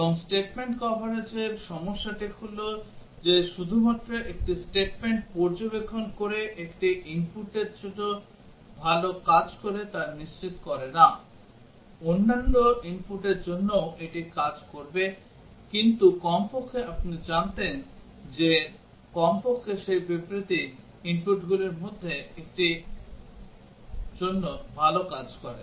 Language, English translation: Bengali, And also the problem with statement coverage is that just by observing a statement works fine for one input does not guarantee that; for other inputs also it will work, but at least you would have known that at least that statement works good for one of the inputs